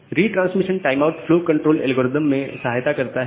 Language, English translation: Hindi, So, this retransmission timeout helps in the flow control algorithm